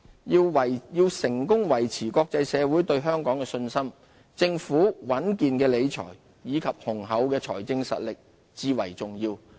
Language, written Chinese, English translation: Cantonese, 要成功維持國際社會對香港的信心，政府穩健的理財，以及雄厚的財政實力至為重要。, A sound financial management philosophy and strong fiscal position of the Government are vital for maintaining international confidence in Hong Kong